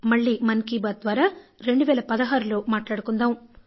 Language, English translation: Telugu, The next edition of Mann ki Baat will be in 2016